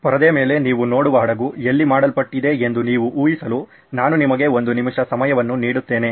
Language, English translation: Kannada, I will give you a minute to guess where the ship that you see on the screen was made